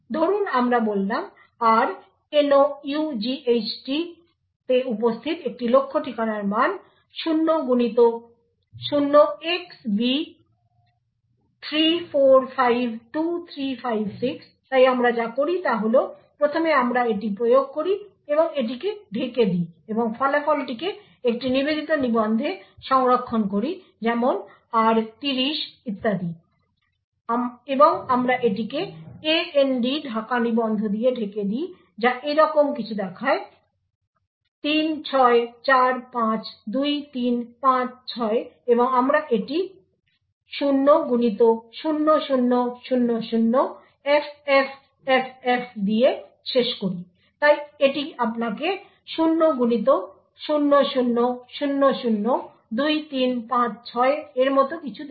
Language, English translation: Bengali, Let us say a target address present in r nought is some value say 0xb3452356 so what we do is first we apply and mask to it and store the result in a dedicated register such as say r30 or so and we mask this with the AND mask register which looks something like this 36452356 and we end this with 0x0000FFFF, so this would give you something like 0x00002356